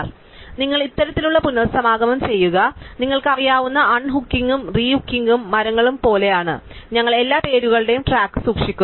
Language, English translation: Malayalam, So, you just do this kind of reconnection is like a you know un hooking and re hooking trees and just we just keep track of the all the names